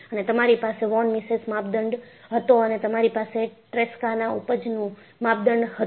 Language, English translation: Gujarati, And, you had von Mises criteria and you also had Tresca yield criterion